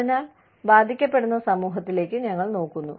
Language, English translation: Malayalam, So, we look at the community, that is being affected